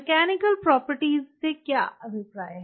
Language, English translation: Hindi, what is meant by the mechanical property